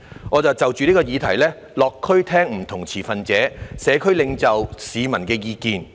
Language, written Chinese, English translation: Cantonese, "我便就着這個議題落區聆聽了不同持份者、社區領袖和市民的意見。, I have therefore visited neighbourhoods to listen to the views of various stakeholders community leaders and members of the public on this subject